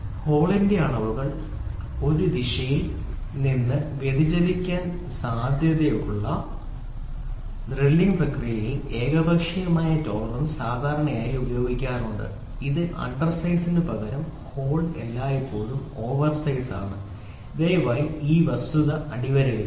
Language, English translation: Malayalam, Unilateral tolerance is generally employed in the drilling process wherein dimensions of the hole are most likely to deviate in one direction only that is the hole is always oversized rather than undersize please underline this fact